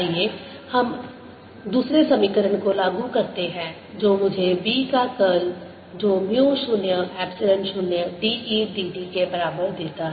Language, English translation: Hindi, let us now apply the other equation which gives me curl of b is equal to mu, zero, epsilon, zero, d, e, d t